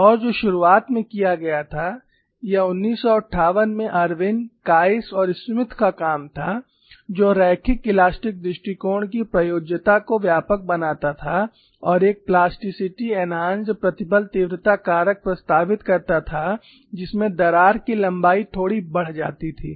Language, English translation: Hindi, And what was initially done was, that was the work of Irwin Kies and Smith in 1958, to broaden the applicability of the linear elastic approach, and proposed a plasticity enhanced stress intensity factor in which the crack lengths were slightly enlarged suitably